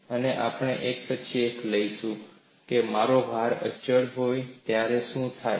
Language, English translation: Gujarati, And we will take up one after another, what happens when I have a constant load